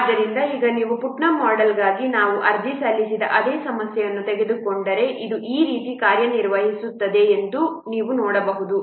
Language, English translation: Kannada, So now if we will take the same problem that we have applied for Putnam's model you can see this will work like this